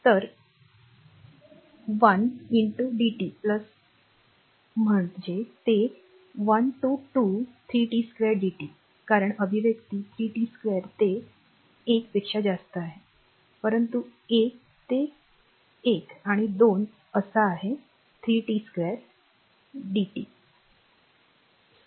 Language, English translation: Marathi, So, one into dt plus that it is greater than one therefore, it is one to 2 3 t square dt because expression is 3 t square it is greater than 1, but you one in between 1 and 2; that means, this 3 t square d dt